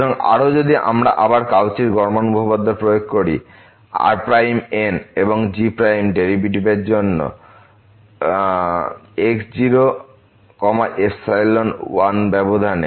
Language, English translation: Bengali, So, further if we apply again the Cauchy mean value theorem for the derivatives derivative and derivative in the interval and xi 1